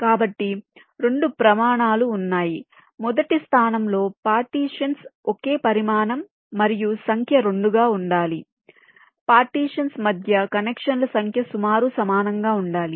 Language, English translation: Telugu, number one, the partitions need to be approximately of the same size, and number two, the number of connections between the partitions has to be approximately equal